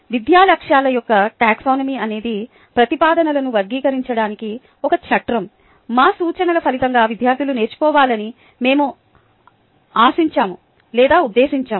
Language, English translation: Telugu, the taxonomy of educational objectives is a framework for classifying statements of what we expect or intend students to learn as a result of our instruction